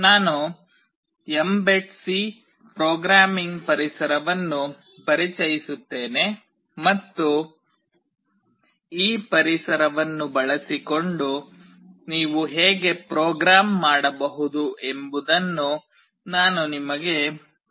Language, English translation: Kannada, I will introduce the mbed C programming environment and I will show you that how you can actually program using this environment